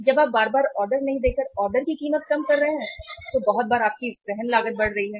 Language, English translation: Hindi, When you are lowering down the ordering cost by not ordering it frequently, very frequently your carrying cost is going up